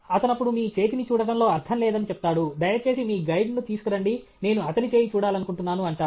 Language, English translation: Telugu, That fellow says there is no point in seeing your hand; please bring your guide; I want to see his hand